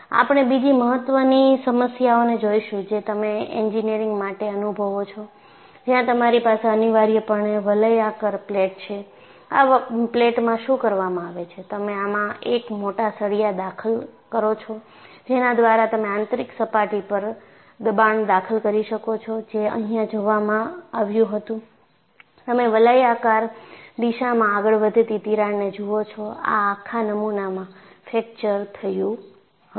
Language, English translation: Gujarati, We would take up another important problem, which you come across in engineering, where you have essentially an annular plate; and in this plate, what is done is, you insert a oversized rod, by that you are introducing a pressure on the inner surface, and what was observed was, you find a crack progressing in a radial direction and the whole specimen got fractured